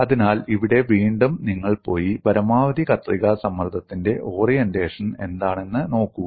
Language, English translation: Malayalam, So, here again, you go and look at what is the orientation of maximum shear stress